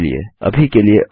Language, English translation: Hindi, Bye for now